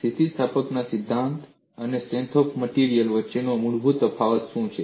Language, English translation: Gujarati, What is the fundamental difference between theory of elasticity and strength of materials